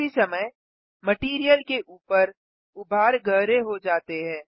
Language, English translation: Hindi, At the same time, the bumps on the material have become deeper